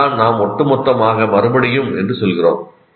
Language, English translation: Tamil, That is what we call cumulative repetition